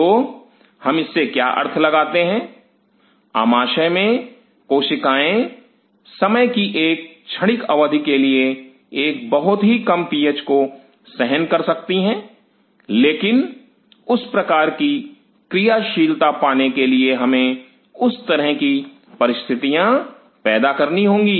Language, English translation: Hindi, So, then what we interpret from this is the cells in the stomach can withstand a very low PH for a transient period of time, but in order to regain that kind of activity we have to create such a situation